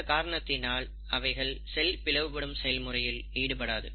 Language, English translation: Tamil, They, in fact do not undergo the process of cell cycle